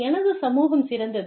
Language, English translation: Tamil, My community is the best